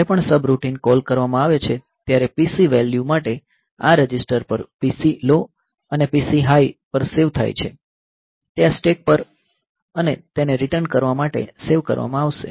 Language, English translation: Gujarati, So, whenever if subroutine call is made, so the PC values are saved on to this registers the PC low and PC high, they will be saved on to this stack and for returning